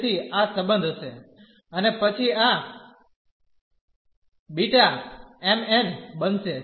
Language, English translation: Gujarati, So, this will be the relation and then this beta m, n will become